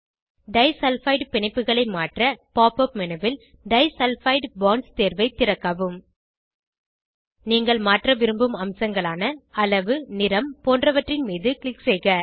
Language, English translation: Tamil, To modify disulfide bonds open the option disulfide bonds in pop menu Click on the features you may want to change like size and color etc